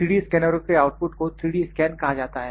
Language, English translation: Hindi, So, these outputs are known as 3D scans